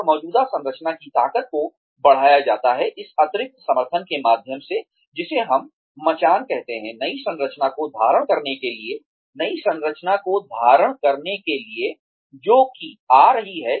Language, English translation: Hindi, And the strength of the existing structure is extended, by way of this additional support, that we call as, a scaffolding, to hold the new structure, that is coming up